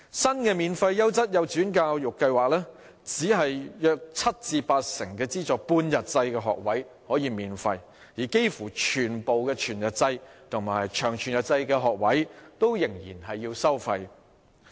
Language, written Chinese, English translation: Cantonese, 新的"免費優質幼稚園教育計劃"只有約七至八成的資助半日制學位可以免費，而幾乎全部全日制及長全日制學位仍然需要收費。, Under the new Free Quality Kindergarten Education Scheme only about 70 % to 80 % of subsidized half - day places will be free of charge and almost all whole - day and long whole - day places will still be fee - charging